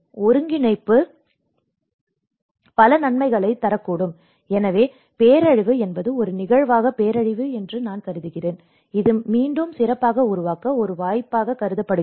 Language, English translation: Tamil, Integration can produce several benefits, so disaster looks I mean disaster as an event, it is considered an opportunity to build back better